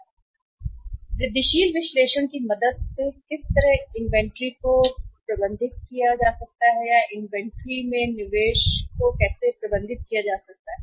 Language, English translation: Hindi, How with the help of incremental analysis the inventory can be managed or the investment in the inventory can be managed